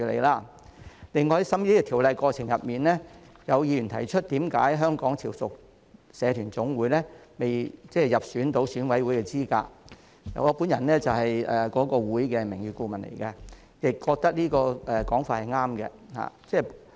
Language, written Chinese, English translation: Cantonese, 另外，在審議《條例草案》的過程中，有議員提出為何香港潮屬社團總會並未入選成為選舉委員會界別分組的指明實體，我本人是該會的名譽顧問，亦覺得這個說法是對的。, In addition during the scrutiny of the Bill some Members asked why the Federation of Hong Kong Chiu Chow Community Organizations FHKCCC was not listed as a specified entity of the relevant subsector of the Election Committee EC . Being the honorary advisor to FHKCCC I think this point is valid